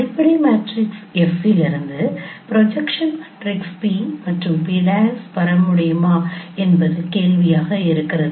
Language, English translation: Tamil, So the question is that whether we can get the projection matrices p and p prime from a fundamental matrix f